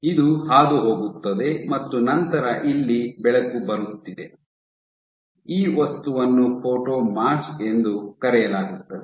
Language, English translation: Kannada, So, this gets passed and then this is your light coming, this object is called the photomask